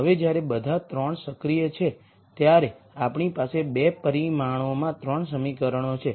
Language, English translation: Gujarati, Now when all 3 are active then we have 3 equations in 2 dimensions right